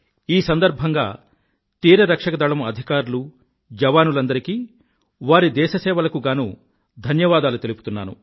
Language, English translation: Telugu, On this occasion I extend my heartfelt gratitude to all the officers and jawans of Coast Guard for their service to the Nation